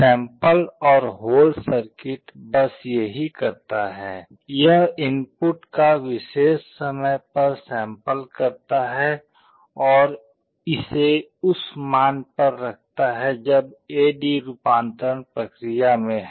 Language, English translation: Hindi, The sample and hold circuit does just that; it samples the input at a particular time and holds it to that value while A/D conversion is in process